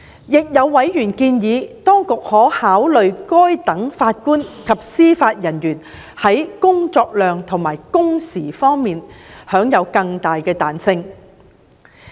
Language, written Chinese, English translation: Cantonese, 亦有委員建議當局可考慮讓該等法官及司法人員在工作量和工時方面享有更大彈性。, Some members have also suggested the authorities to consider allowing such JJOs more flexibility in their workload and working hours